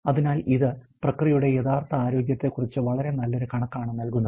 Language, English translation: Malayalam, So, this give a very good estimate of the actual health of the process